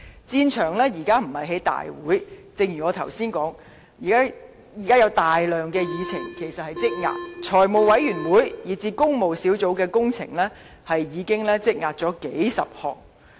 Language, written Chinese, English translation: Cantonese, 現時的戰場不止在立法會會議，正如我剛才所說，現時其實有大量議程正在積壓，財務委員會以至工務小組委員會已積壓數十個項目。, We have to fight not only in Council meetings . As I have said there are a huge backlog of items to be handled . The Finance Committee and the Public Works Subcommittee have accumulated dozens of items